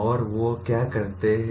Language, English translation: Hindi, And what do they do